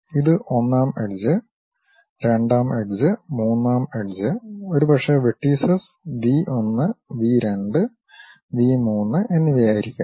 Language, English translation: Malayalam, This is the 1st edge, 2nd edge, 3rd edge maybe the vertices are V 1, V 2 and V 3